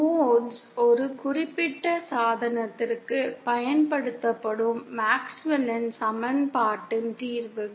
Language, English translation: Tamil, Modes are solutions, of MaxwellÕs equation applied to a specific device